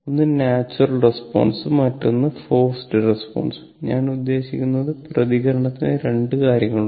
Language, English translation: Malayalam, One is natural response and other forced response, I mean the response has two things